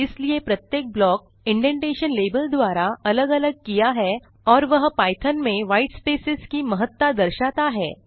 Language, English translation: Hindi, Thus each block is separated by the indentation level and that marks the importance of white spaces in Python